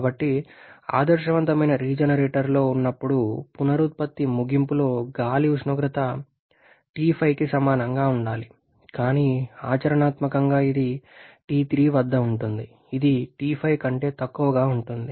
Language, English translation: Telugu, So, while in the ideal regenerator at air temperature during in regenerator should be equal to T5 practically it remains at T3 which is lower than T5